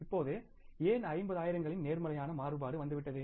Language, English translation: Tamil, Why that now the positive variance of 50,000 has come